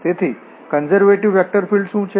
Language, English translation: Gujarati, So, what is a conservative vector field